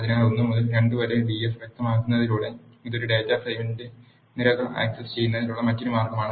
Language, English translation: Malayalam, So, by just specifying d f of 1 to 2, this is another way of accessing the columns of a data frame